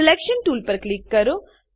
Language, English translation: Gujarati, Click on Selection tool